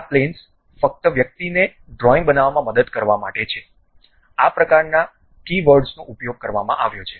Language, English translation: Gujarati, This planes are just for the to help the person to construct the drawings, these kind of keywords have been used